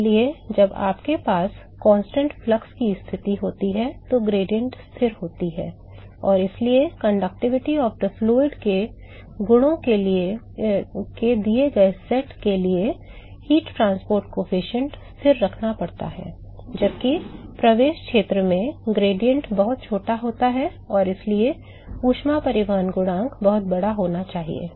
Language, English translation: Hindi, So, therefore, the gradient is constant when you have a constant flux condition, and therefore, the heat transport coefficient has to remain constant for a given set of properties tike conductivity of the fluid, while in the entry region the gradient is very small and therefore, the heat transport coefficient has to be very large